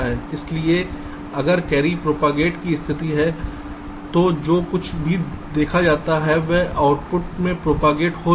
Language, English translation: Hindi, so if there is a carry propagate condition, then whatever is in seen that will propagate to the output